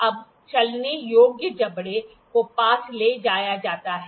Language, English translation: Hindi, Now, the moveable jaw is taken close